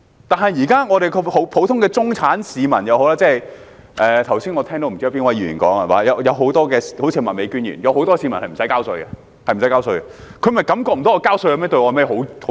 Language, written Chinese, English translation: Cantonese, 但是，香港現時即使是普通的中產市民——我剛才聽到不知哪位議員說，好像是麥美娟議員——有很多市民無須繳稅，他們便感覺不到繳稅對他們有何好處。, At present however many members of the Hong Kong public including even ordinary middle - class people―as I just heard from a Member seemingly Ms Alice MAK―do not need to pay tax and hence do not feel there is any merit in doing so